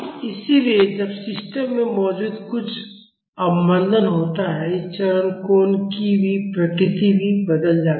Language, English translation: Hindi, So, when there is some damping present in the system the nature of this phase angle also changes